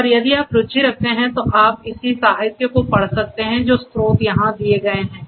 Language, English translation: Hindi, And if you are interested you can go through the corresponding literature the source is given over here